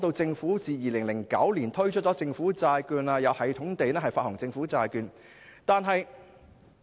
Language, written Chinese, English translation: Cantonese, 政府自2009年推出政府債券後，一直有系統地發行政府債券。, Since the introduction of government bonds in 2009 the Government has been systematically issuing government bonds